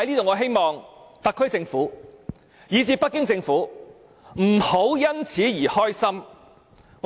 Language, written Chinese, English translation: Cantonese, 我希望特區政府及北京政府，不要為此感到高興。, I hope the SAR Government and the Beijing Government would not thus be delighted